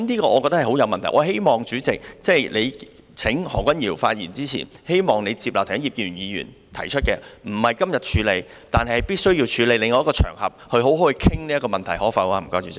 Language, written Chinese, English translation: Cantonese, 我希望主席請何君堯議員發言之前，接納葉建源議員剛才提出的建議，即不在今天處理這問題，但必須處理，在另一個場合好好地討論這問題，主席，可不可以呢？, I hope that before calling upon Dr Junius HO to speak President would accept the suggestion made by Mr IP Kin - yuen just now namely that this issue not be handled today but definitely on another occasion for a thorough discussion . President is it possible?